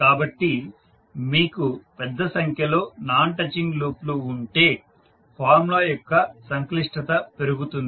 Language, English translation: Telugu, So, if you have larger number of non touching loops the complex of the formula will increase